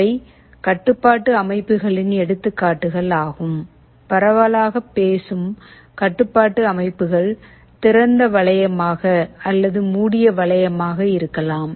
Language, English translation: Tamil, These are examples of control systems; broadly speaking control systems can be either open loop or closed loop